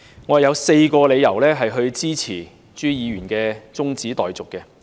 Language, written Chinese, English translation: Cantonese, 我有4個理由支持朱議員的中止待續議案。, There are four reasons for me to support Mr CHUs adjournment motion